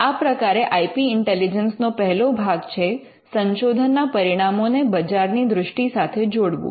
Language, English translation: Gujarati, So, that is the first part of IP intelligence identifying research results with commercial value